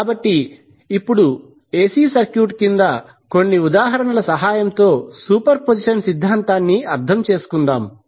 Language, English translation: Telugu, So, now let us understand the superposition theorem with the help of few examples under AC circuit